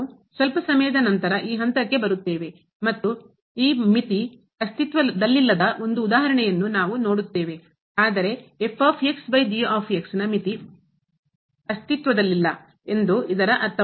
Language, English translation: Kannada, We will come to this point little later and we will see one example where this limit does not exist, but it does not mean that the limit of over does not exist